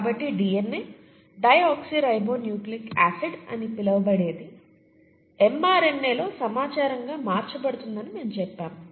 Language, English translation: Telugu, So we said that the information in what is called the DNA, deoxyribonucleic acid, gets converted to information in the mRNA, okay